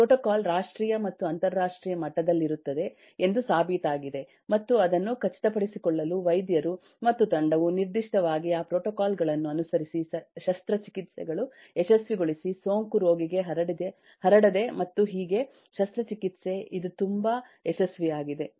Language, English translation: Kannada, the protocol is nationally or internationally be established, proven, and the doctor and the team has to specifically follow the protocols to ensure that the surgeries succeeds, the infection is not propagated to the patient, and so on, and that is the reason that surgery today has become so success